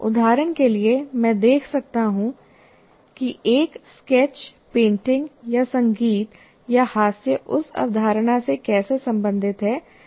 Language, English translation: Hindi, And how is the art or some, or music or humor is related to the concept that you are dealing with